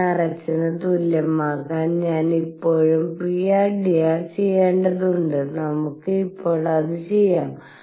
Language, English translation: Malayalam, I am still to do pr dr to be equal to nr h let us do that now